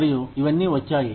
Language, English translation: Telugu, And, all of this came